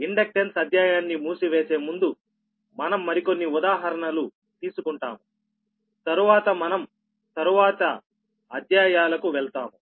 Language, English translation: Telugu, so ok, so before, uh, closing the inductance chapter, so we will take couple of more examples, then we will move to the next chapters